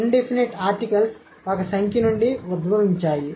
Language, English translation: Telugu, Indefinite articles are derived from the numeral 1